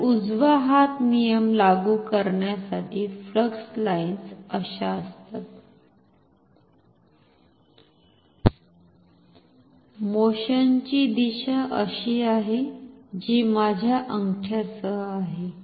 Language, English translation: Marathi, So, to apply right hand rule flux lines are like this, the direction of the motion is like this, which is along my thumb